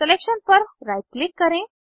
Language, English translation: Hindi, Right click on the selection